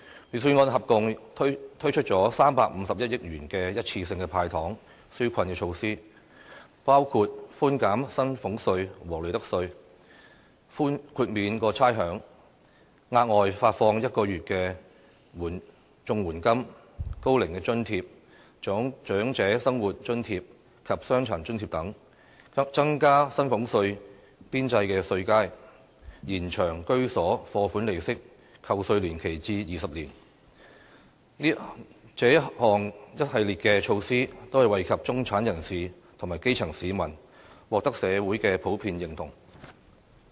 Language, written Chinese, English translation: Cantonese, 預算案合共推出351億元的一次性"派糖"紓困措施，包括寬減薪俸稅和利得稅、豁免差餉、額外發放1個月的綜合社會保障援助金、高齡津貼、長者生活津貼及傷殘津貼等；增加薪俸稅邊際稅階、延長居所貸款利息扣稅年期至20年，這一系列措施，均惠及中產人士和基層市民，獲得社會的普遍認同。, In the Budget a number of one - off measures of handing out sweeteners are proposed . A package of relief measures in the total sum of 35.1 billion include reducing salaries tax and profits tax waiving rates providing an additional one month of the standard rate Comprehensive Social Security Assistance payments Old Age Allowance Old Age Living Allowance and Disability Allowance etc widening the marginal bands for salaries tax and extending the entitlement period for the tax reduction for home loan interest to 20 years . These measures are beneficial to the middle - class and grass - roots people and are generally recognized in society